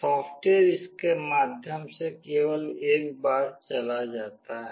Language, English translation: Hindi, The software only goes through this once